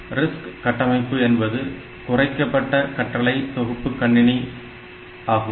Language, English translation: Tamil, So, RISC architecture means that reduced instruction set computers